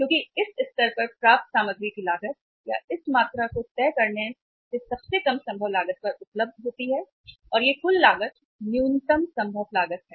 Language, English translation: Hindi, Because the cost of the material acquired at this level or by deciding this much of the quantity is available at the lowest possible cost and that is the total cost, lowest possible cost